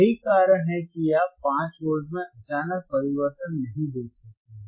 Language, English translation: Hindi, That is why you cannot see suddenly there is a change in 5 Volts